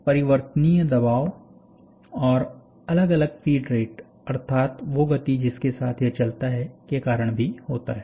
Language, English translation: Hindi, So, this is also because of varying pressure and varying feed rates, that is a speed with which it moves, right